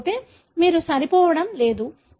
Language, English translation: Telugu, Otherwise you are not going to match